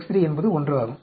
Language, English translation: Tamil, X 3, X 3 will become 1